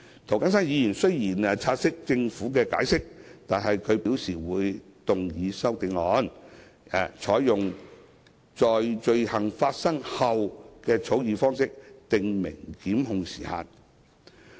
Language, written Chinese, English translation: Cantonese, 涂謹申議員雖然察悉政府的解釋，但他表示會動議修正案，採用"在罪行發生後"的草擬方式訂明檢控時限。, Although Mr James TO has taken note of the Governments explanation he has indicated that he will move CSAs to state a time limit for prosecution adopting the formulation of after the commission of the offence